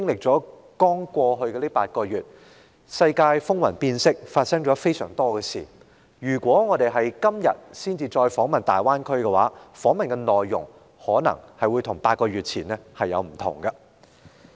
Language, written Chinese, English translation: Cantonese, 在過去的8個月期間，世界風雲變色，發生了許多事，假如我們今天才訪問大灣區，則訪問的內容可能會與8個月前大有不同。, The international scene kept changing with a multitude of events emerging during the past eight months . If we visit the Greater Bay Area today the contents of the visit will be a lot different from that of eight months ago